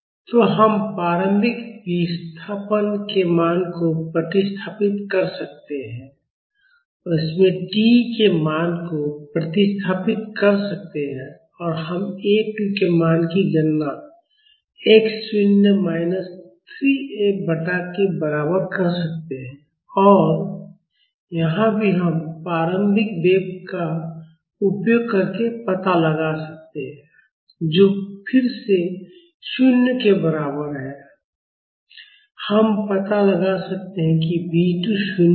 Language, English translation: Hindi, So, we can substitute the value of initial displacement and substitute the value of t in this and we can calculate the value of A 2 as equal to x naught minus 3 F by k and here also we can find out using the initial velocity, which is equal to 0 again; we can find out that B 2 is 0